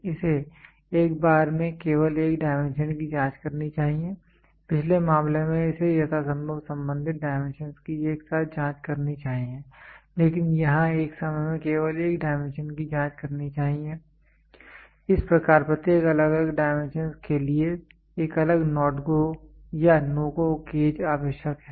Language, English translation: Hindi, It should check only one dimension at a time; in the previous case it should check simultaneously as many related dimensions as possible, but here it should check only one dimension at a time thus a separate NO gauge NO NOT GO or NO GO gauge is required for each individual dimensions